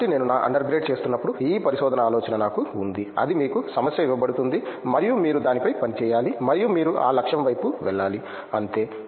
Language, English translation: Telugu, So, while I was doing my under grade, I had this idea of research it’s like you will be given a problem and then you have to work on it and you have to just go towards that goal, that’s all